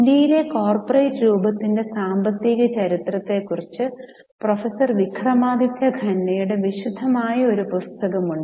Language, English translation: Malayalam, There has been a detailed book by Professor Vikramadityakhanda on economic history of the corporate form in India